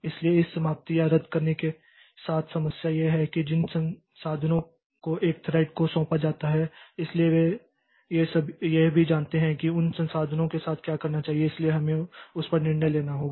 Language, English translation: Hindi, So, the problem with this termination or cancellation is that the resources that are allocated to a thread so they also what to do with those resources